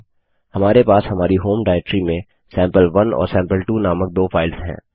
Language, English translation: Hindi, Let us see how cmp works.We have two files named sample1 and sample2 in our home directory